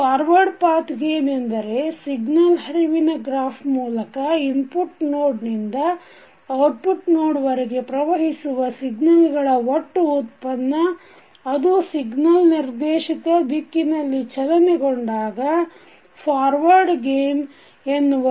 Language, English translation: Kannada, Forward Path gain is the product of gain found by traversing the path from input node to the output node of the signal flow graph and that is in the direction of signal flow